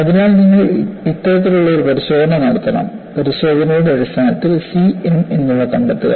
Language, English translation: Malayalam, So, you have to perform this kind of a test; on the basis of the test find out c and m